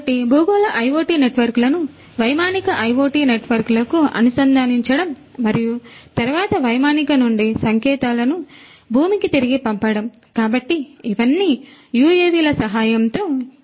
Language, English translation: Telugu, So, you know connecting the terrestrial IoT networks to the aerial IoT networks and then sending back the signals from the aerial once to the ground; so, all of these could be done with the help of UAVs